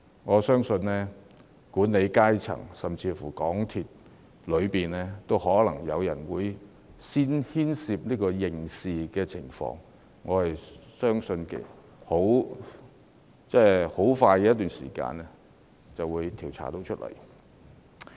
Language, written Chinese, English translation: Cantonese, 我相信管理層甚至香港鐵路有限公司內部也可能有人須負上刑事責任，而短期內應會水落石出。, I believe personnel from their management and even within the MTR Corporation Limited may be held criminally liable and the truth should be revealed shortly